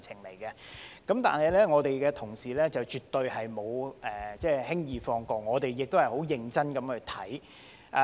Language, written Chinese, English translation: Cantonese, 可是，我們的同事絕對沒有輕易放過，我們亦很認真審議。, However our colleagues definitely did not let these inadequacies slip easily and scrutinized the Bill very seriously